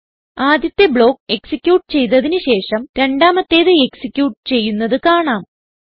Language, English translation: Malayalam, we see that after the first block is executed, the second is executed